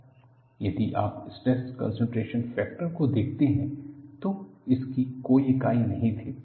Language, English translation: Hindi, If you look at stress concentration factor, it had no units